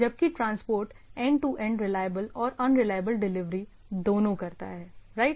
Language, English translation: Hindi, Whereas transport is a provision of end to end reliable and unreliable delivery both right